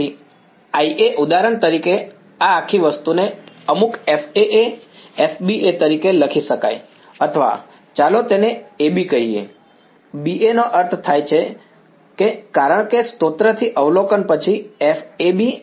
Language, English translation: Gujarati, So, I A for example so, this whole thing can be written as say some F A A F B A or let us call it A B; B A make sense because source to observation then F A B F B B